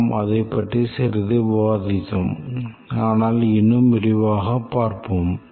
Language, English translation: Tamil, We had some discussion on that, but let's look at more elaborately